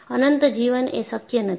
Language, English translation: Gujarati, Infinite life is not possible